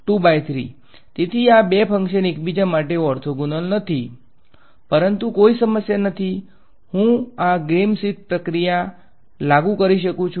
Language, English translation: Gujarati, So, these two functions are not orthogonal to each other, but there is no problem I can apply this Gram Schmidt process